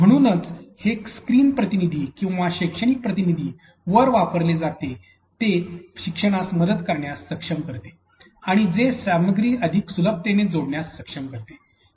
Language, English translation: Marathi, Therefore, this principle is called used on screen agents or pedagogical agents to be able to help the learners be able to connect which the content much more easier